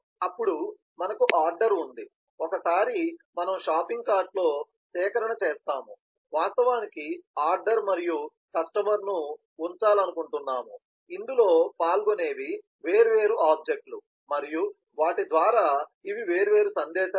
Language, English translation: Telugu, then we have the order in which once, we have done the collection in the shopping card, we would like to actually place the order and the customer, so these are the different objects, which participate in this and these are the different messages that go through them